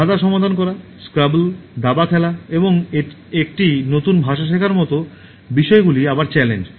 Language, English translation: Bengali, Things like working out puzzles, like a playing scrabble, playing chess, and learning a new language, which again is a challenge